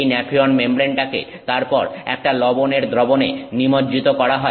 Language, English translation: Bengali, This nephion membrane is then immersed in a solution of a salt